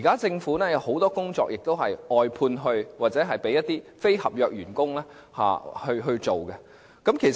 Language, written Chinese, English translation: Cantonese, 政府現在把很多工作外判，或由非合約員工處理。, Much of the work of the Government has now been outsourced or dealt with by non - contract staff